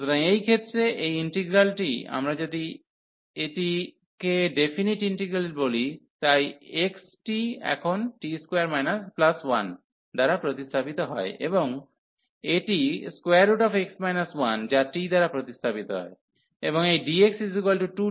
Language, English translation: Bengali, So, in this case this integral so if we talk about this in definite integral, so 1 over the x is replaced by 1 plus t square now, and this is square root x minus 1 is replaced by t, and this dx by 2 t into dt